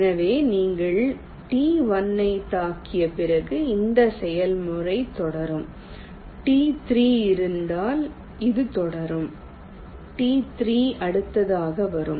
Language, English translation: Tamil, after you hit t one, if there is a t three, that t three will come next